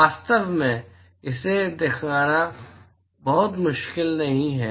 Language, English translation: Hindi, In fact, it is not very difficult to show this